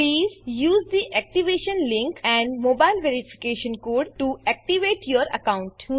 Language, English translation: Gujarati, Please use the activation link and mobile verification code to activate your account